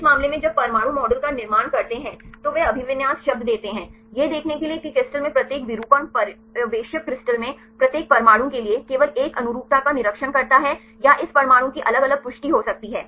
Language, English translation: Hindi, In this case when build the atomic model they give the term occupancy to see how much each conformation observer in the crystal whether only one conformation is observed in the crystal for each atom or this atom can have different confirmations